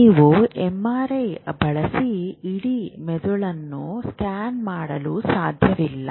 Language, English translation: Kannada, Because you can't put a whole MRI into the whole length of the brain